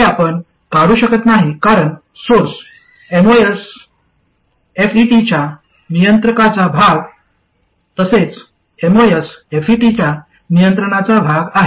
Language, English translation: Marathi, This you cannot remove because source terminal belongs to the controlling part of the MOSFET as well as the controlled part of the MOSFET